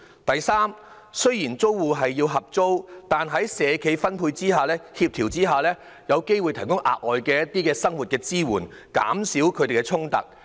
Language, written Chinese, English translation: Cantonese, 第三，雖然租戶需要合租單位，但在社企的配對及協調下，他們有機會獲提供一些額外生活支援，減少與其他租戶的衝突。, Moreover they can obtain other community support . Third despite the need to co - let a flat with the matching and coordination of the social enterprises tenants may be provided with extra support in daily life thus reducing conflict with other tenants